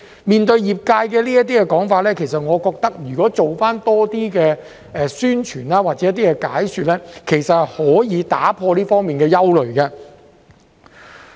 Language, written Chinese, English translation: Cantonese, 面對業界這些說法，我認為政府能多做一些宣傳或解說工作的話，其實便可以打破這方面的憂慮。, In the face of these views in the industry I believe the Government can actually dispel the concerns if it makes more effort in publicity work or in explaining the situation